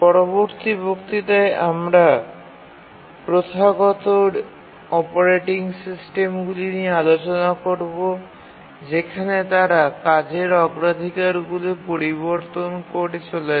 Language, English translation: Bengali, As you will see in our next lecture that the traditional operating systems, they keep on changing task priorities